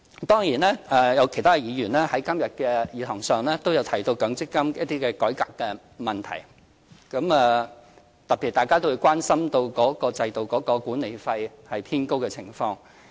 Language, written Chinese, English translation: Cantonese, 當然，有其他議員今天在議事堂上都提到強積金改革問題，特別是大家都關心管理費偏高的情況。, Of course other Members have touched upon MPF reform in the Chamber today specially the high management fee an issue of wide public concern